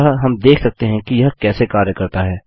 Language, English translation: Hindi, So we can see how this works